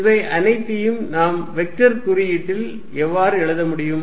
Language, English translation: Tamil, How can we write all these in vector notation